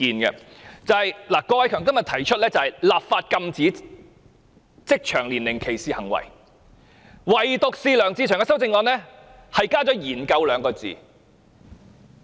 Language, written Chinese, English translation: Cantonese, 郭偉强議員的議案提出"立法禁止職場年齡歧視行為"，但梁志祥議員的修正案加上"研究 "2 字。, In his motion Mr KWOK Wai - keung proposed enacting legislation against age discrimination in the workplace but Mr LEUNG Che - cheung added the word studying in his amendment . Studying means not going to do it